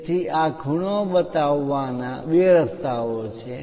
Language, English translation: Gujarati, So, there are two ways to show these angles